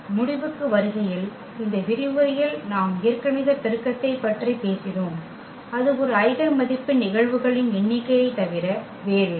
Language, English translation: Tamil, Coming to the conclusion so, in this lecture we have talked about the algebraic multiplicity and that was nothing but the number of occurrence of an eigenvalue